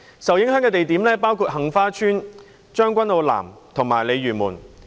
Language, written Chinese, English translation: Cantonese, 受影響的地點包括杏花邨、將軍澳南及鯉魚門。, The affected locations included Heng Fa Chuen Tseung Kwan O South and Lei Yue Mun